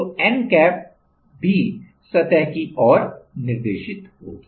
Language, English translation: Hindi, So, the n cap also will be directing towards the surface